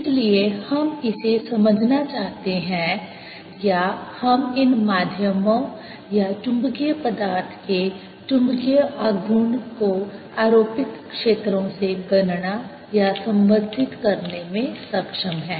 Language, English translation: Hindi, so we want to understand this or be able to calculate or relate the magnetic moment of these media right magnetic material to apply it, fields and so on